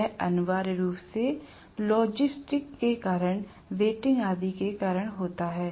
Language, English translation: Hindi, It is essentially due to logistics, due to the ratings and so on